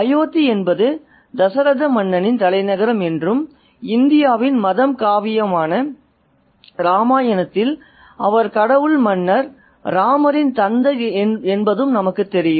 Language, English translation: Tamil, And as we know, Ayuriyadh is the capital of King Dasrata and he was the father of God King Rama in this religious epic of India which is Ramayana